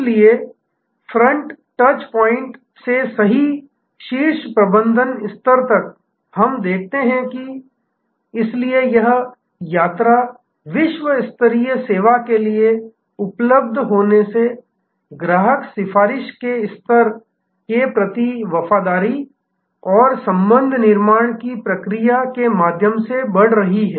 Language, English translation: Hindi, So, right from the front touch point to the top management level, we see therefore, this journey from just being available for service to the world class service, growing through the process of loyalty and relationship building to the level of customer advocacy